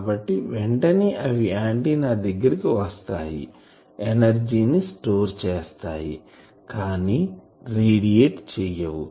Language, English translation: Telugu, So, they are immediately surrounding the antenna, the energy is getting stored, but not radiated